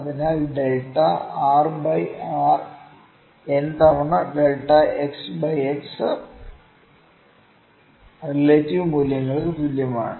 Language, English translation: Malayalam, So, we will use delta r by r is equal to n times delta x by x absolute values